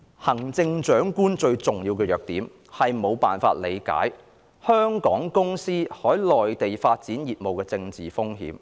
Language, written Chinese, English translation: Cantonese, "行政長官最嚴重的弱點在於無法理解香港公司在內地開展業務的政治風險"。, The most serious weakness of Chief Executives has been an inability to comprehend the political risk for Hong Kong firms when doing business on the Mainland